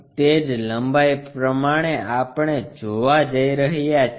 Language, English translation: Gujarati, The same length we are going to see